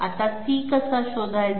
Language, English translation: Marathi, Now, how to find out C